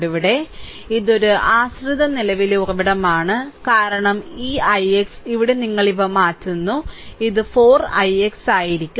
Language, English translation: Malayalam, Here, it is a dependent current source i because this i x, here you change the here you change these things thus it should be it should be 4 i x right